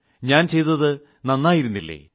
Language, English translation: Malayalam, Was what I did not good enough